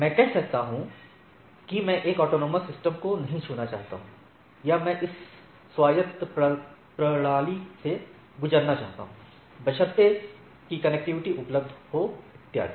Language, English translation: Hindi, I can say that I do not want to touch that autonomous system or I want to go through this autonomous system provided there are connectivity’s available and so and so forth